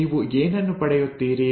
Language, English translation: Kannada, So what do you get